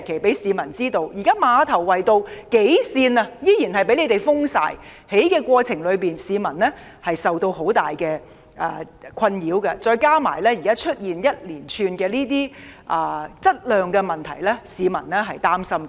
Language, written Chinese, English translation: Cantonese, 現時馬頭圍道數條行車線仍然被封，在施工過程中，市民受到很大滋擾，再加上現時出現這些一連串的質量問題，市民實在擔心。, Now several lanes on Ma Tau Wai Road are still closed . In the course of construction people have been subjected to a great deal of disturbances . Coupled with the series of problems in works quality that have now arisen people are truly concerned